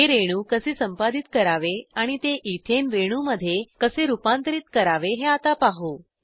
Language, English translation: Marathi, Now lets see how to edit this molecule and convert it to Ethane molecule